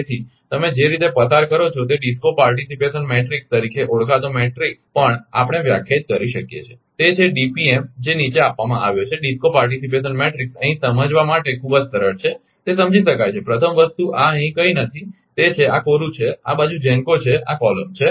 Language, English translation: Gujarati, So, what you do in that way we can define on matrix called DISCO participation matrix, that is DPM is given below, DISCO participation matrix just here to understand right very simple it is understand, first thing is this is nothing is here, it is blank this side is GENCOs this this column